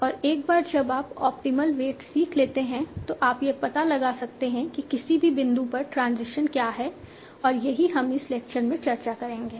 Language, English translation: Hindi, And once you have learned the optimal weights, you can find out what is the transition at an in given point